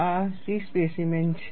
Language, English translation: Gujarati, This is a C specimen